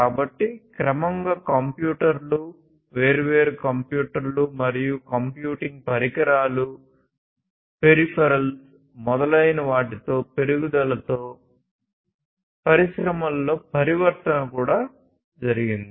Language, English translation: Telugu, So, gradually with the increase of computers, different, different computers, and computing devices peripherals, etc, the transformation in the industries also happened